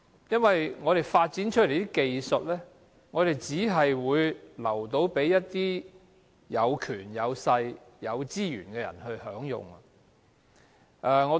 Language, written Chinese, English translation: Cantonese, 因為我們發展出來的技術只供給有權、有勢、有資源的人享用。, Because the technology that we have developed is available only to those who have powers clout and resources